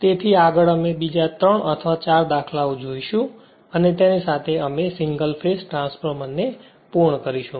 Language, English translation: Gujarati, So next we will be you know in another example other 3 or 4 examples and with that we will close the single phase transformer right